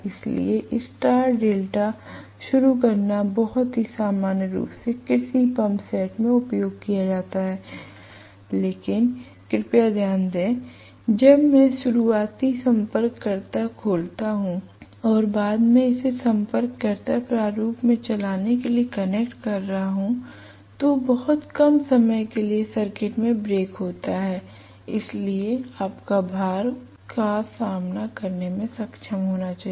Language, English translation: Hindi, So star delta starting is very very commonly used in agricultural pump sets, but please note, when I am opening the starting contactors and later on connecting it in for running contactor format, there is break in the circuit for a very short while, so your load should be able to withstand that